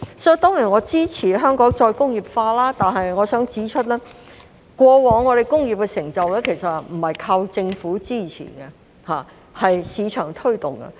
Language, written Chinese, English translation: Cantonese, 我當然支持香港再工業化，但我想指出，過往香港在工業的成就不單靠政府支持，而是市場的推動。, I certainly support the re - industrialization of Hong Kong but I would like to point out that Hong Kongs industrial achievements in the past did not rely solely on the Governments support . Rather it relied on the promotion of the market